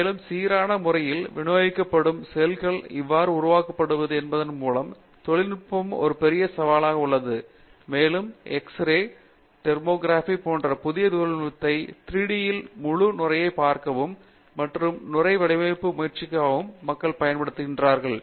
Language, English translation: Tamil, And, there the whole technology of how to develop uniformly distributed cells is a big challenge and there people are using newer technology such as X ray Tomography to actually see the whole foam in 3D and try to design the foam in such a way that you get the proper properties